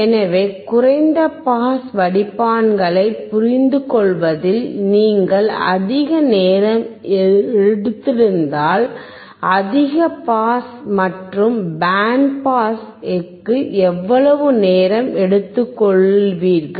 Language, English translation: Tamil, So, you assume that if you have taken so much time in understanding low pass filters how much time you will take for high pass and band pass